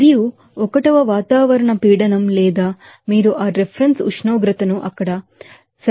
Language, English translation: Telugu, And 1 atmospheric patient or you can take that reference temperature to 73